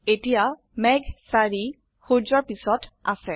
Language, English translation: Assamese, Cloud 4 is now behind the sun